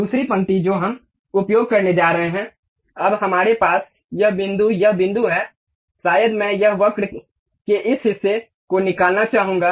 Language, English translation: Hindi, The other line what we are going to use is now we have this point, this point, maybe I would like to remove this part of the curve here